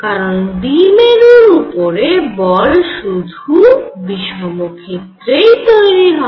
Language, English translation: Bengali, Because the force on a dipole arises in an inhomogeneous field